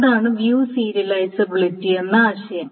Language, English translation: Malayalam, So that's the notion of view serializability